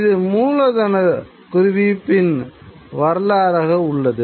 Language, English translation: Tamil, And that is the idea of the capital accumulation